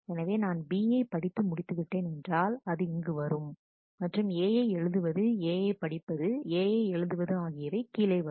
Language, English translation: Tamil, So, once I do that read B will come here and write A read A write A will come down